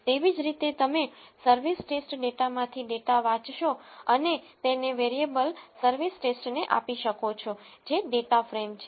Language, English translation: Gujarati, Similarly, you will read the data from service test data and assign it to variable service test which is again a data frame